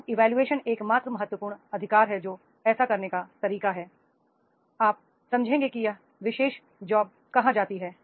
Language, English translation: Hindi, So job evaluation is the only key right which is the way of doing so you will understand where this particular job stands